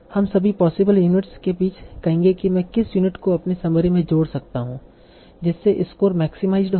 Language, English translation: Hindi, So we'll say, among all the all the possible units which unit I can add to my summary such that the score is maximized